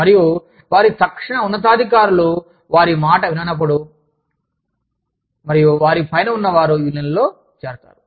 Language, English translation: Telugu, And, when their voice is not being heard, by their immediate superiors, and people above them do they join, unions